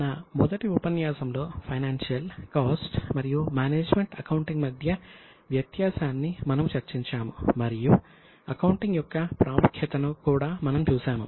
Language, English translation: Telugu, In our first session we had discussed the distinction between financial cost and management accounting and we had also seen the importance of accounting